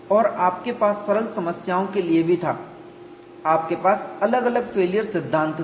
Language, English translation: Hindi, And you had even for simple problems, you had different failure theories